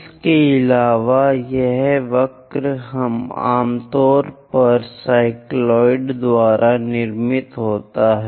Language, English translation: Hindi, And this curve usually constructed by cycloid